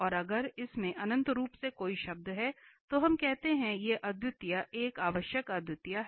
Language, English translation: Hindi, And if it has infinitely many terms then we call that this singularity is an essential singularity